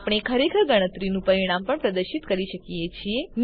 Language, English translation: Gujarati, We can indeed display the result of a calculation as well